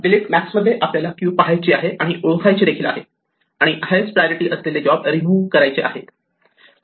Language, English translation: Marathi, In delete max we have to look through the queue and identify and remove the job with the highest priority